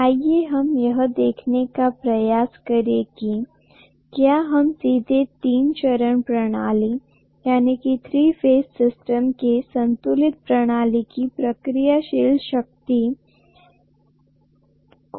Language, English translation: Hindi, Let us try to see whether we can measure reactive power in a three phased system directly, balanced system